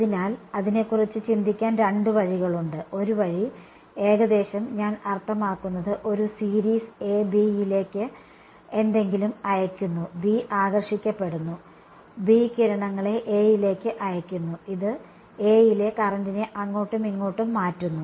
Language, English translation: Malayalam, So, there are two ways of thinking about it, one way is that a like a I mean like a series A sends something to B, B induces B radiates sends to A, this changes the current in A and so on, back and forth right